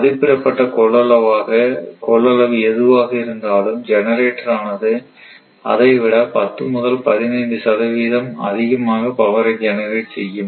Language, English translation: Tamil, So, whatever rated capacity it may be 10 15 percent more, it can generate power also right